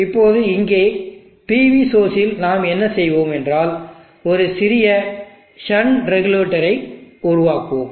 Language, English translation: Tamil, Now here across the PV source what we will do is build a small shunt regulator